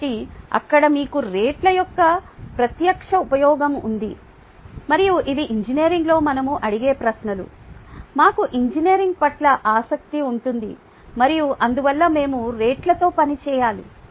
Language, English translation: Telugu, so if there you have one direct use of rates and these are the questions that will ask in engineering, these that will be interested in engineering, and therefore we need to work with rates